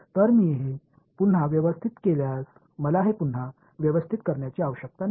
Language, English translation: Marathi, So, if I rearrange this I need not rearrange this